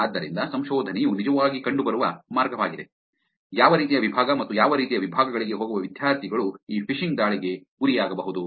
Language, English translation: Kannada, So, this is way by which research is actually found, which kind of department and the students going to which kind of departments are actually vulnerable to these phishing attacks